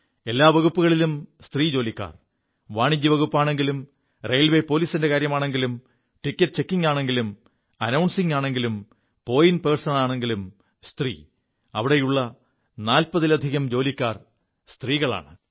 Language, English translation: Malayalam, All departments have women performing duties… the commercial department, Railway Police, Ticket checking, Announcing, Point persons, it's a staff comprising over 40 women